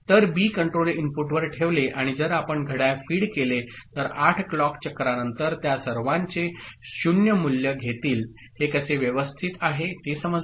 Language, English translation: Marathi, So, with B keep kept at 0 control input and if you feed the clock then after 8 clock cycle all of them will take the value of 0 is it fine, understood how this is organized